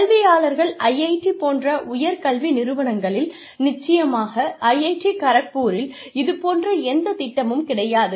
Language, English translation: Tamil, And say, in academics, in the senior institutes of higher education, like IITs, of course, for IIT Kharagpur we do not have, any such plan, yet